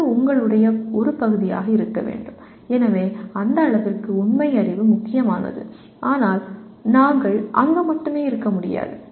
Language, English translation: Tamil, It has to be part of your, so to that extent factual knowledge is important but we cannot afford to remain only there